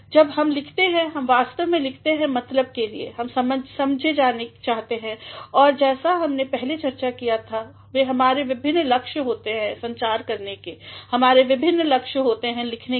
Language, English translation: Hindi, Whenever we write, we actually write to mean, we want to be understood and as we have discussed earlier we have different aims to communicate, we have different aims to write